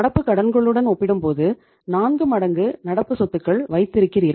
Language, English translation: Tamil, You are keeping 4 times of the current assets compared to current liabilities